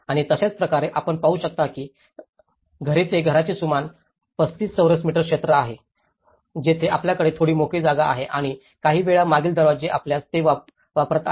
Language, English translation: Marathi, And similarly, you can see that houses they are giving about 35 square meter area of a house, where they have a small open space and sometimes using the previous doors if they have